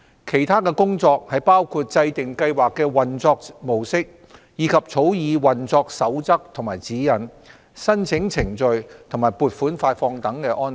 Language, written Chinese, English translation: Cantonese, 其他的工作包括制訂計劃的運作模式，以及草擬運作守則和指引、申請程序和款額發放等安排。, Other tasks include formulating the mode of operation of the Scheme as well as developing operational manuals and guidelines application procedures and payment arrangements etc